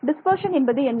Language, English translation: Tamil, What is dispersion